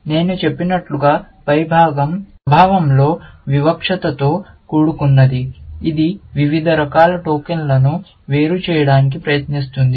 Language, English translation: Telugu, As I said, the top part is discriminative in nature, which tries to separate tokens of different kinds